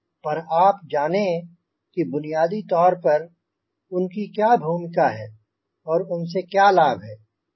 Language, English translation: Hindi, but you should know fundamentally what are the role of these